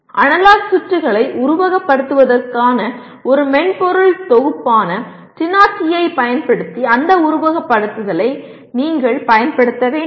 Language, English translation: Tamil, And you should use that simulation using TINA TI which is a software package meant for simulating analog circuits